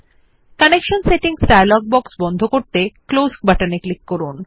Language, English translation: Bengali, Click on the Close button to close the Connection Settings dialog box